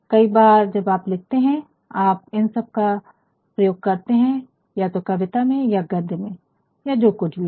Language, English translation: Hindi, Sometimes when you write you are making use of all these either in poetry or in prose or what isoever